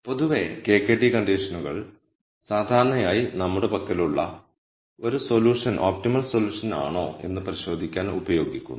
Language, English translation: Malayalam, So, in general the KKT conditions are generally used to verify if a solution that we have is an optimal solution